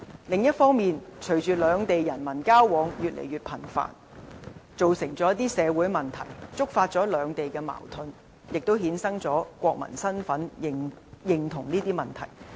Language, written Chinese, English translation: Cantonese, 另一方面，隨着兩地人民交往越來越頻繁，造成了一些社會問題，觸發兩地矛盾，亦衍生了國民身份認同的問題。, On the other hand increasing interactions between people of the Mainland and Hong Kong have resulted in social problems which have aroused further contradictions leading to issues relating to recognition of national identity